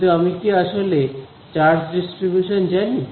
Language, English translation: Bengali, But do I actually know the charge distribution